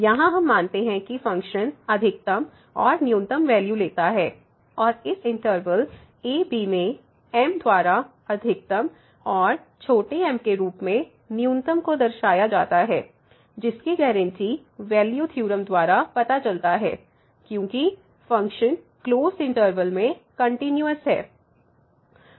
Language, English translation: Hindi, So, here we assume that the function takes the maximum and the minimum value and they are denoted by big as maximum and small as minimum in this interval , which is guaranteed due to the extreme value theorem because the function is continuous in the closed interval